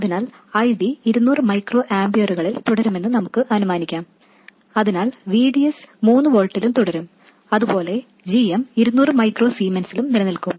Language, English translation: Malayalam, So we will assume that ID will remain at 200 microamperes and therefore VDS will remain at 3 volts and so on and similarly GM will remain at 200 microzemans